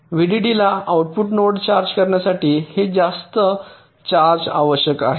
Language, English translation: Marathi, this much charge is required to charge the output node to v